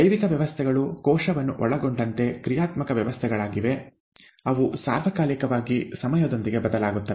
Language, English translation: Kannada, Biological systems are dynamic systems, including the cell, they change with time all the all the time